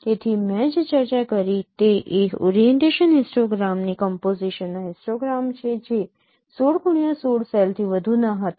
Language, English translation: Gujarati, So the what I discussed the histogram of computation of the orientation histogram that was not over 16 cross 16 cell